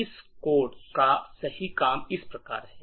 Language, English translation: Hindi, The right working of this code is as follows